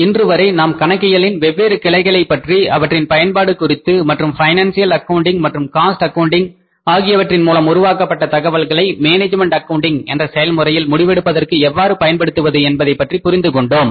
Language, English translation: Tamil, So till date we have understood the different branches of accounting their respective uses and how the information generated under the financial accounting and the cost accounting can be used for the decision making under the process of management accounting